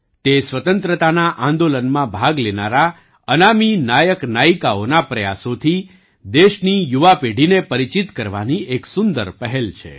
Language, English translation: Gujarati, This is a great initiative to acquaint the younger generation of the country with the efforts of unsung heroes and heroines who took part in the freedom movement